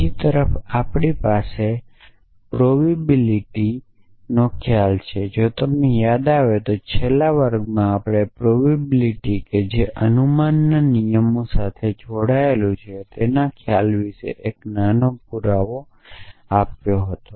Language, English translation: Gujarati, On the other hand we have the notion of provability, so if you recall we did a small proof in the last class notion of provability is tied up with the rules of inference